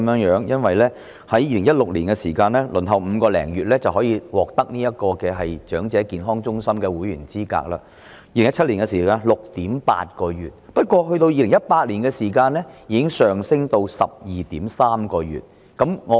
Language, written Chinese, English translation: Cantonese, 然而，在2016年，長者輪候5個多月便可成為長者健康中心的會員 ；2017 年的輪候時間是 6.8 個月；但到2018年，輪候時間已延長至 12.3 個月。, Yet whilst an elderly person can enrol as a member of EHC after waiting for five - odd months in 2016 the waiting time was 6.8 months in 2017; whilst in 2018 the waiting time lengthened to 12.3 months